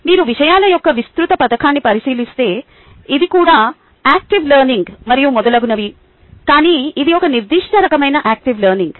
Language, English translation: Telugu, if you look at the broad scheme of things, this is also active learning and so on, so forth, but it is a specific kind of active learning